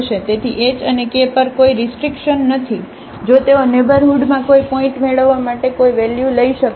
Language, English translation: Gujarati, So, there is no restriction on h and k if they can take any value to have a point in the neighborhood